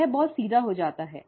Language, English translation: Hindi, It becomes very straight forward